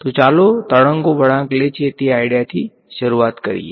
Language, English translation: Gujarati, So, let us just start with the idea of waves that are bending right